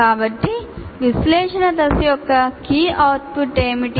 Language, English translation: Telugu, So what is the key output of analysis phase